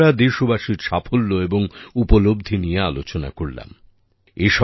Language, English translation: Bengali, We discussed the successes and achievements of the countrymen